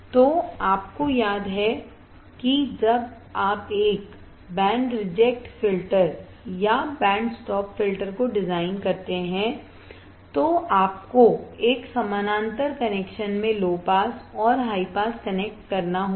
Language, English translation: Hindi, So, you remember that when you must design a band reject filter or band stop filter you have to connect low pass and high pass in a parallel connection